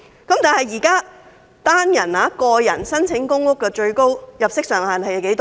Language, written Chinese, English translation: Cantonese, 可是，現時單身人士申請公屋的最高入息限額是多少？, But what is the maximum income limit for a single person applying for public housing?